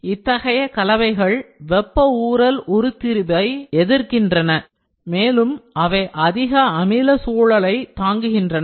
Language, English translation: Tamil, Such alloys resist thermal creep deformation and they endure high acidic environments